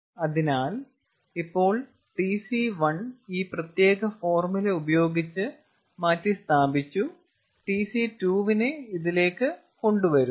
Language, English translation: Malayalam, so now tc one that should be replaced by this particular formula, bringing in tc two, which is known